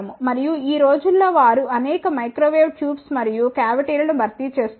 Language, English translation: Telugu, And, nowadays they are replacing many of the microwave tubes and cavities